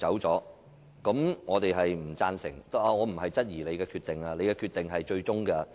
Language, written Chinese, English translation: Cantonese, 然而，我並非質疑你的決定，因為你的裁決是最終決定。, Nevertheless I am not querying your decision because your ruling is final